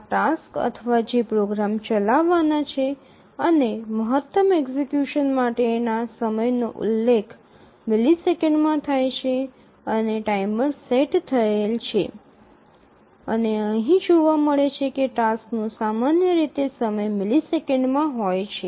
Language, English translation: Gujarati, These are the tasks or the programs to run and the maximum execution time is mentioned in milliseconds and the timer is set and just observe here that the tasks are typically the time is in milliseconds